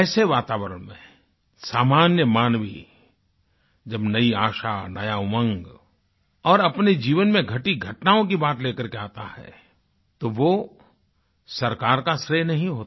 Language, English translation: Hindi, In such an environment, when the common man comes to you talking about emerging hope, new zeal and events that have taken place in his life, it is not to the government's credit